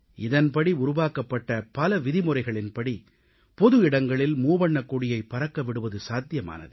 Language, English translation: Tamil, A number of such rules have been included in this code which made it possible to unfurl the tricolor in public places